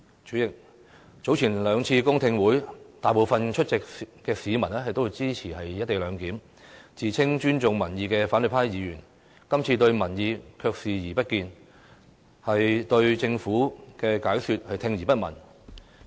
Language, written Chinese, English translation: Cantonese, 主席，早前兩次公聽會，大部分出席的市民都支持"一地兩檢"，自稱尊重民意的反對派議員，今次對民意卻視而不見，對政府的解釋聽而不聞。, President at the two public hearings held earlier most of the attendants were supportive of the co - location arrangement . Opposition Members who claim to respect public views seem to have turned a blind eye and totally ignore the Governments explanation